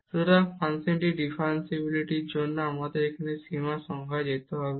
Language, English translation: Bengali, So, for the differentiability of this function we need to now go to this limit definition